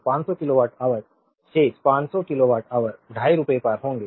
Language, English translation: Hindi, So, 500 kilowatt hour remaining 500 kilowatt hour will be at rupees 2